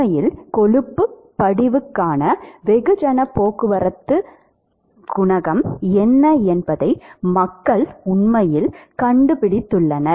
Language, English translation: Tamil, And in fact, people have actually found out what is the mass transport coefficient for cholesterol deposition